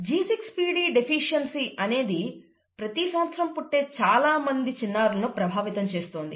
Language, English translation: Telugu, And then there is something called G6PD deficiency which seems to affect a large number of infants born every year, right